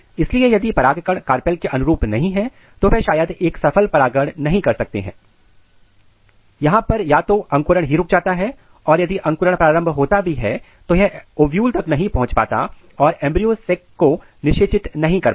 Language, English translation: Hindi, So, if pollens are not compatible with the carpel they may not result in the successful pollination, where either they their germination itself is inhibited or even though if it start germination, but they cannot reach to the ovule and they cannot fertilize the embryo sac